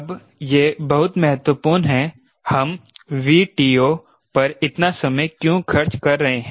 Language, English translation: Hindi, its very important why we are spending so much time on v take off